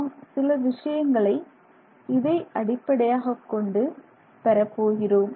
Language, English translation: Tamil, We are going to derive things based on this